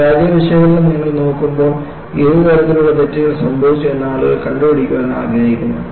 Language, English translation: Malayalam, When you look at the failure analysis, people want to find out, what kind of mistakes could have happened